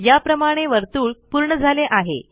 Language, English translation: Marathi, The circle is complete